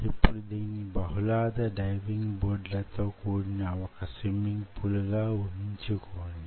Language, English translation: Telugu, so now imagine this as ah swimming pool with multiple diving board boards like this